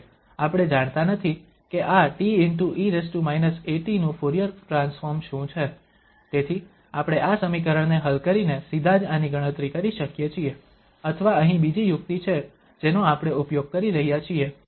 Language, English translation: Gujarati, However, we do not know what is the Fourier transform of this t e power minus a t, so we can compute this easily either directly by solving this equation or there is another trick here which we are using